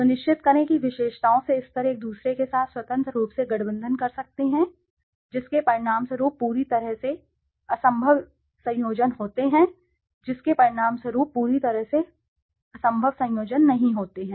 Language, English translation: Hindi, Make sure levels from the attributes can combine freely with one another resulting in utterly impossible combinations, without resulting utterly impossible combinations